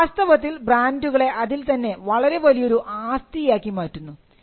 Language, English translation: Malayalam, This essentially made the brands a valuable asset in itself